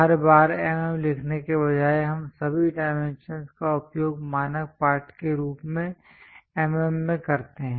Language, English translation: Hindi, Instead of writing every time mm, we use all dimensions are in mm as a standard text